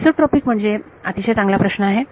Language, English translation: Marathi, Isotropic means good question